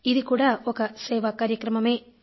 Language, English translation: Telugu, This is also a kind of service